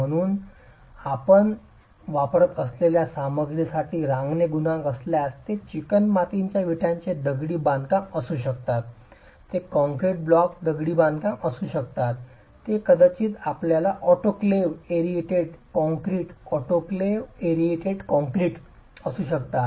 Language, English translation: Marathi, So, if creep coefficients for the type of material that you are using, maybe clay brick masonry, it may be concrete block masonry, it may be a rotoclaved erated concrete